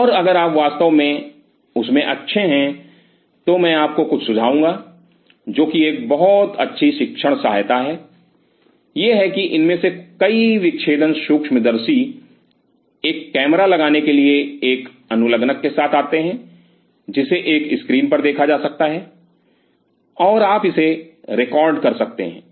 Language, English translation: Hindi, And if you are really good in that, then I would recommend you something which is a very good teaching aid, is that many of these dissecting microscopes comes with an attachment to put a camera which could be put on a screen and you can record it